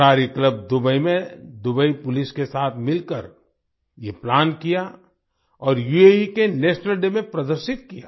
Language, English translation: Hindi, Kalari club Dubai, together with Dubai Police, planned this and displayed it on the National Day of UAE